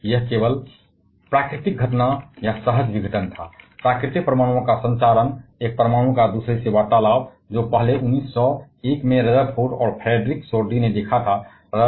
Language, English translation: Hindi, But this was only the natural phenomenon or spontaneous disintegration; natural transmutation of atoms that is conversation of one atom to the other that was first observed by Rutherford and Frederick Soddy in 1901